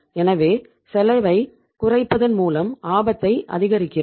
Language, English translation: Tamil, So we are increasing the risk by reducing the cost